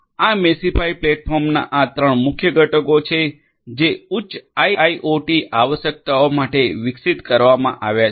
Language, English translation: Gujarati, These are the three these three main components of this platform Meshify which has been developed for higher IIoT requirements